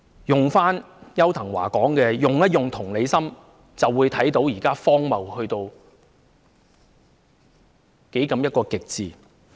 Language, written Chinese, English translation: Cantonese, 用回邱騰華的話"用同理心"，我們就會看到現時的情況荒謬到極點。, With empathy―the phrase used by Edward YAU―we will see the current situation is an utter nonsense